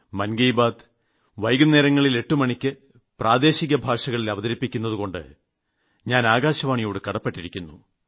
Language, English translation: Malayalam, I am grateful to All India Radio that they have also been successfully broadcasting 'Mann Ki Baat' in regional languages at 8 pm